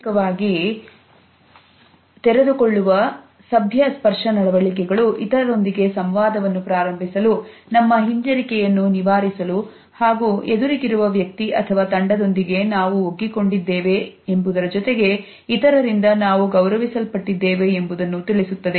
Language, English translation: Kannada, Socially sanctioned polite touch behaviors help us to initiate interaction with others, help us to overcome our hesitations and at the same time it shows us that we are included in our team and that we are respected by others